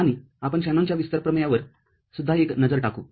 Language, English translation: Marathi, And we shall also have a look at Shanon’s expansion theorem